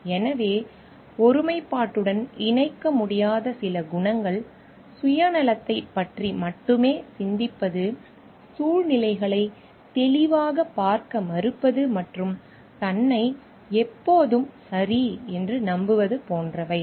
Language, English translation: Tamil, So, some qualities which cannot be connected to integrity are like thinking only of self interest, refusing to see situations clearly and always believing oneself to be right